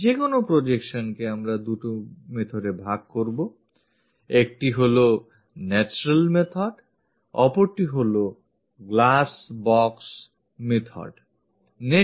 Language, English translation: Bengali, Any projection, we divide into two methods; one is by natural method, other one is glass box method